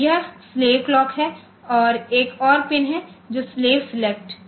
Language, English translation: Hindi, So, this is slave clock and there is another pin which is slave select